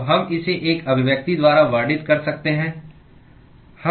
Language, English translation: Hindi, So, we could describe this by an expression